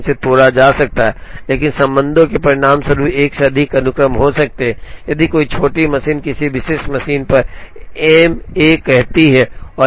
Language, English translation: Hindi, But, ties can result in more than one sequence a tie will happen, if the smallest number is on a particular machine say M 1 and more than 1 job has that